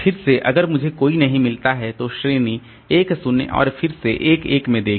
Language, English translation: Hindi, Again, if I do not find anybody then look into the category 1 0 and again 1 1